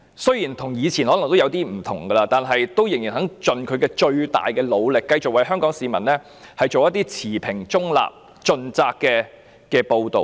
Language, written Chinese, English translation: Cantonese, 雖然今天跟以前可能已有點不同，但港台仍在盡其最大努力繼續為香港市民做一些持平、中立，盡責的報道。, The situation today may be somehow different from that in the past yet RTHK is still exerting its level best to deliver impartial neutral and responsible reports to the people of Hong Kong